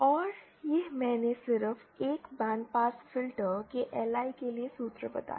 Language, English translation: Hindi, And this I just stated the formula for the LI of a band pass filter